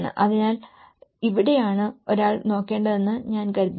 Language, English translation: Malayalam, So, I think this is where one has to look at